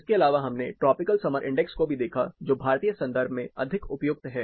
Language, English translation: Hindi, Apart from which we also looked at the tropical summer index which is in applicable more in the Indian context